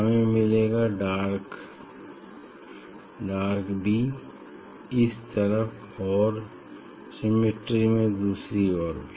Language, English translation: Hindi, we will get dark b, dark b, this, this, this side and from symmetry you will get from in other side also